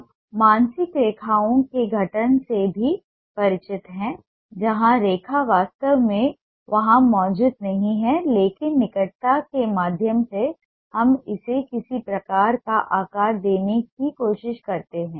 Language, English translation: Hindi, we are also familiar with the formation of the mental lines where the line is not present there actually, but through the proximity we try to give it ah, some kind of a ah shape